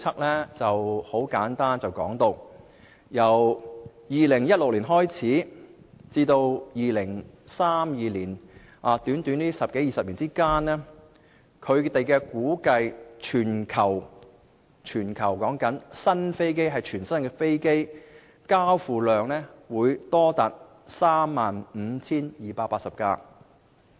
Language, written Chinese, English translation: Cantonese, 它指出，由2016年開始至2032年，這短短十多二十年間，估計全球全新的飛機交付量會多達 35,280 架。, According to its recent forecast 35 280 new aircraft will be delivered worldwide from 2016 to 2032 ie . in the upcoming 10 to 20 years